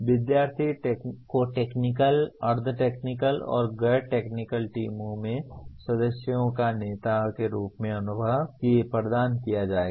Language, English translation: Hindi, Student should be provided with experiences as members or leaders in technical, semi technical and non technical teams